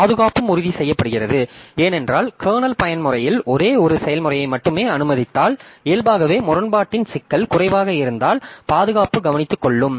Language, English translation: Tamil, And security is also ensured because if we allow only one process inside the kernel mode, then naturally there will be the problem of inconsistency will be less